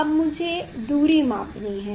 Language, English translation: Hindi, I have to measure the distance